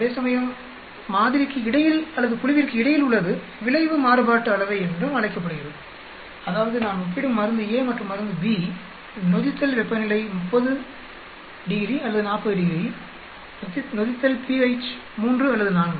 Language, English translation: Tamil, Whereas, between sample or between group is also called effect variance that means effect I am comparing between drug a and drug b, temperature of fermentation at 30 ° or 40 °, fermentation at pH of 3 and 4